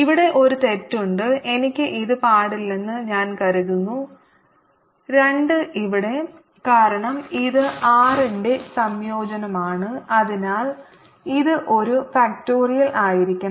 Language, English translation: Malayalam, i think i should not have this two here because this was a integration of r, so it should be one factorial